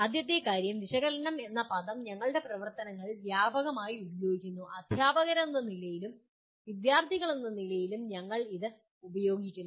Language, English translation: Malayalam, First thing is the word analyze is extensively used during our activities; as teachers as students we keep using it